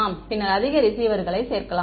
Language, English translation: Tamil, Then we can add more receivers